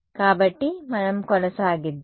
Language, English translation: Telugu, So, let us proceed